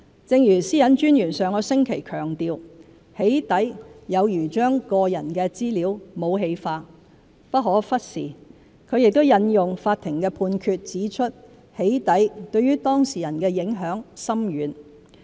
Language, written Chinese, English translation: Cantonese, 正如私隱專員上星期強調，"起底"有如將個人資料武器化，不可忽視，她亦引用法庭判決指出"起底"對當事人的影響深遠。, As the Privacy Commissioner for Personal Data PCPD pointed out last week doxxing is like weaponizing of personal data and should not be ignored . She further cited a court decision to point out the far - reaching impact of doxxing on the victims